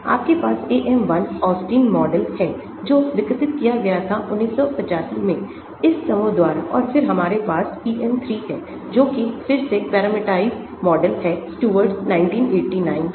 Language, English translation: Hindi, you have the AM 1, Austin model one which was developed in 1985 by this group and then we have the PM 3 that is a parameterised model again Stewart 1989